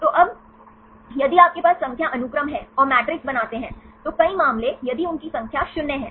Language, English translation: Hindi, So, now, if you have the number sequences and make the matrix, several cases, if their numbers are 0